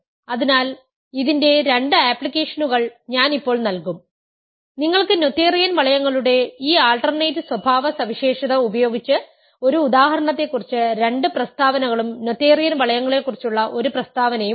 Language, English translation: Malayalam, So, I will now give two applications of this you have two statements about one example and one statement about noetherian rings using this alternate characterization of noetherian rings